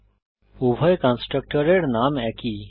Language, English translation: Bengali, Both the constructor obviously have same name